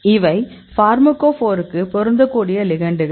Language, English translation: Tamil, So, these are the ligands which fits the pharmacophore